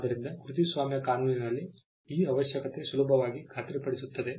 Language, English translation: Kannada, So, this requirement in copyright law is easily satisfied